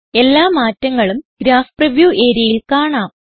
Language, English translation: Malayalam, All changes can be seen in the Graph preview area